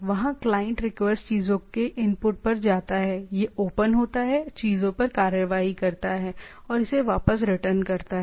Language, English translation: Hindi, There the client request goes the input to the things, it open ups takes the action on the things and return it back